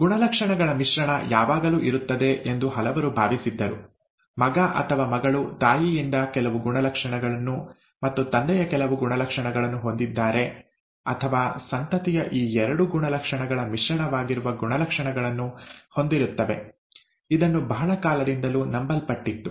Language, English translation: Kannada, Many felt that there was always a blending of traits; there was some trait from the mother, some trait of the father, the son or the daughter has, or the offspring has the traits that are a blend of these two traits, that was what was believed for a very long time